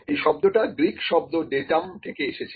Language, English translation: Bengali, So, this has come from the Greek word datum